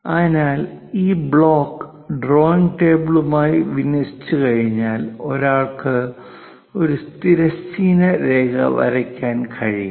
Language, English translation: Malayalam, So, once this block is aligned with the drawing table, then one can draw a horizontal line